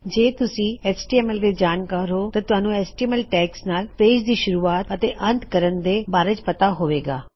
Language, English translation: Punjabi, Those of you that are familiar with html will know that there are html tags to start your page and to end your page